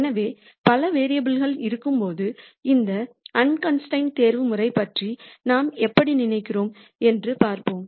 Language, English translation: Tamil, So, let us look at how we think about this unconstrained optimization when there are multiple variables